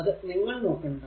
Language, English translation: Malayalam, So, do not see that one